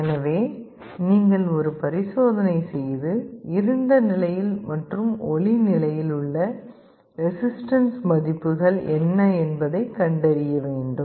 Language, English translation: Tamil, So, you will have to do an experiment and find out what are the resistance values in the dark state and in the light state